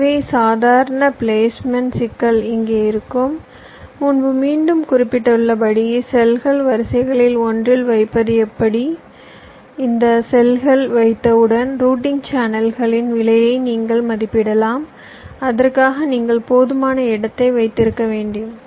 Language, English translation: Tamil, has i mention again earlier how to place a cell into one of the rows and once you are place this cells you can estimates the routing channels cost and you can keep adequate space for that